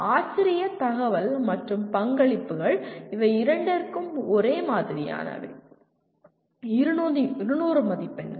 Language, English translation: Tamil, Faculty information and contributions, they are the same for both, 200 marks